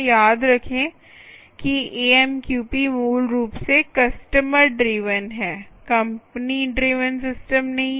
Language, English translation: Hindi, all right, remember that amqp is basically customer driven, not any company driven system